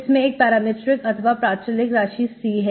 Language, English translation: Hindi, It has a parameter one, one parameter C